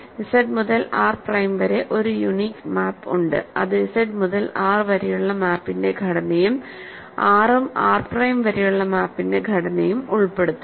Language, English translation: Malayalam, There is a unique map from Z to R prime which must be the composition of the map from Z to R and the inclusion of R and R prime